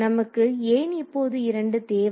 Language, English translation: Tamil, So, let us see why do we need 2